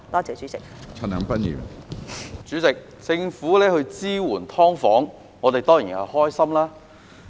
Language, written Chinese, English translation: Cantonese, 主席，政府支援"劏房戶"，我們當然開心。, President we are certainly happy that the Government provides support to subdivided unit households